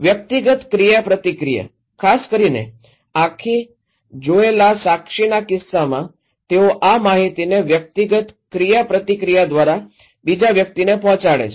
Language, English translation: Gujarati, Personal interaction especially, in case especially, in case of eye witness they pass these informations to another person through personal interaction